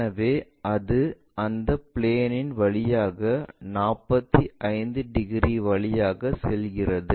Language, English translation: Tamil, So, this one goes via 45 degrees through that plane